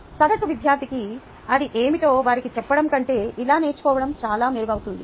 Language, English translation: Telugu, the learning is far, far better for an average student, compare to we just telling them what it is